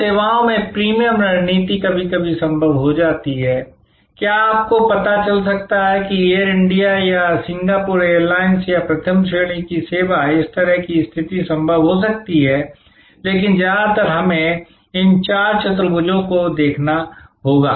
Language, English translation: Hindi, Now, premium strategy in services is sometimes feasible, there could be you know like the first class service on Air India or on Singapore Airlines or this kind of positioning as possible, but mostly we have to look at these four quadrants